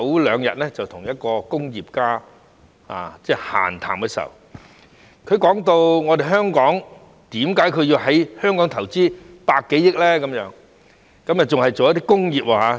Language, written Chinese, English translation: Cantonese, 兩天前，我跟一位工業家閒談，問他為何要在香港投資100多億元，而且還要是工業。, Two days ago I chatted with an industrialist and asked him why he invested more than 10 billion in Hong Kong especially in industries